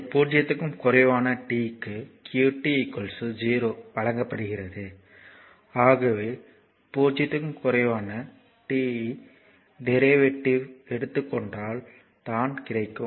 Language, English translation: Tamil, So, it is given qt is equal to 0 for t less than 0 right therefore, your it is actually if you take the derivative also for t less than 0